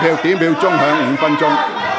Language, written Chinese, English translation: Cantonese, 表決鐘會響5分鐘。, The division bell will ring for five minutes